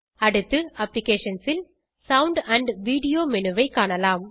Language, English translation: Tamil, Next, under Applications, lets explore Sound menu